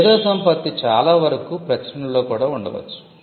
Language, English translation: Telugu, IP could most likely be within publications as well